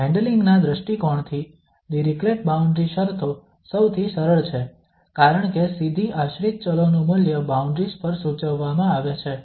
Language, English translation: Gujarati, From the handling point of view, the Dirichlet boundary conditions are the easiest one because directly the value of the dependent variables are prescribed at the boundaries